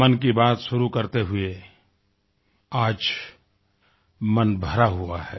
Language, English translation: Hindi, I begin 'Mann Ki Baat' today with a heavy heart